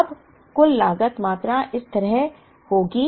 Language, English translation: Hindi, Now, the total cost quantity will be like this